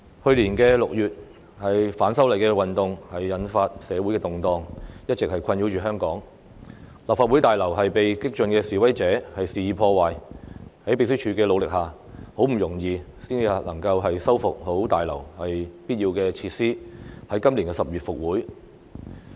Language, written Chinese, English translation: Cantonese, 去年6月，反修例運動引發社會動盪，並一直困擾香港，立法會大樓被激進的示威者肆意破壞，在秘書處努力下，很不容易才修復了大樓必要的設施，在今年10月復會。, Social unrest caused by the anti - amendments movement in June last year has been troubling Hong Kong and the Legislative Council Complex was vandalized by radical protesters . Thanks to the efforts made by the Secretariat essential facilities of the Complex have been repaired though not easy so that the Council could resume in October this year